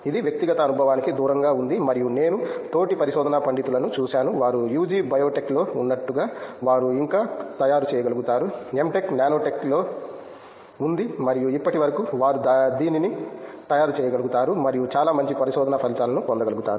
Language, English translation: Telugu, This is out of personal experience and I have seen fellow research scholars, they are still able to make it through as in if they are UG was in biotech M Tech was in nanotech and still they are able to make it and get very good research results